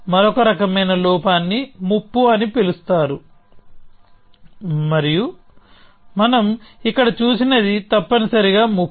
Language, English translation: Telugu, The other kind of flaw is called a threat, and what we saw here was a threat essentially